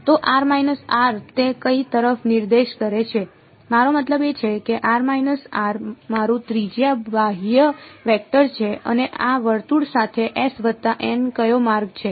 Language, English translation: Gujarati, So, r minus r hat which way is it pointing I mean r minus r hat is my radially outward vector and along this circle s plus which way is n hat